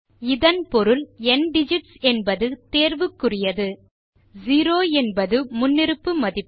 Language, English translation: Tamil, This means that ndigits is optional and 0 is the default value